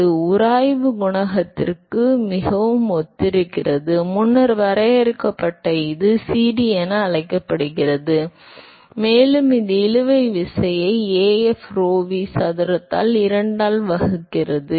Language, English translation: Tamil, So, very similar to the friction coefficient; that was defined earlier, it is called CD and that is given by the drag force divided by Af rho V square by 2